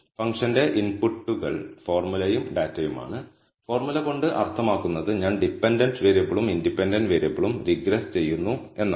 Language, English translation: Malayalam, So, the inputs for the function are formula and data, by formula I mean I am regressing dependent variable versus the independent variable